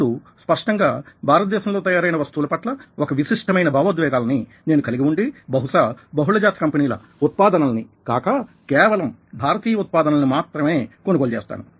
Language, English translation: Telugu, now, obviously, i have a specific kind of emotions towards everything that is made in india and probably, at the end of the day, i would buy products which are by indian companies rather than by multinational companies